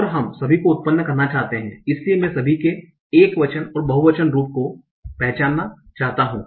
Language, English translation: Hindi, And I want to generate all the, so I want to recognize all the singular and plural form